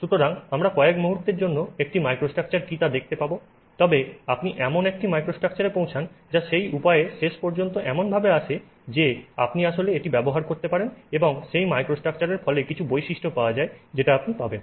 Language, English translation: Bengali, Okay, so we will see what is a microstructure in a moment but you arrive at a microstructure which that material ends up being so that you can actually use it and that microstructure results in some properties so that is what you get